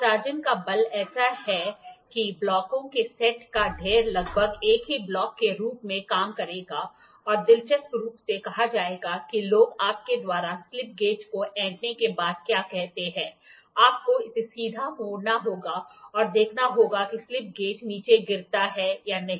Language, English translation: Hindi, The force of adhesion is such that the stack of set of blocks will almost serve as a single block and interestingly said what people say after you wrung slip gauges you have to turn it upright and see whether the slip gauges fall down or not